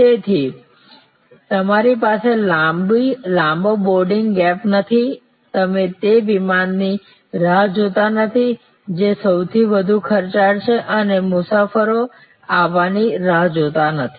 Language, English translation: Gujarati, So, you do not have a long boarding gap you are not waiting that aircraft which is the most it is time is most expensive not waiting for passengers to arrive